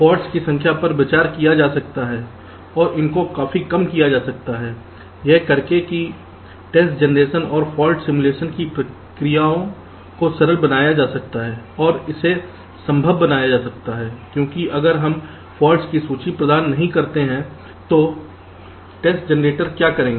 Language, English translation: Hindi, the processes of test generation and fault simulation can be simplified, and it can be made possible, because if we do not provide with a list of faults, what will the test generator do